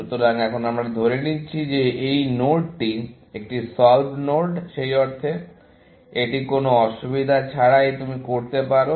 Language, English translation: Bengali, So, now, we are assuming that this node is a solved node, in the sense, that you can do this without any difficulty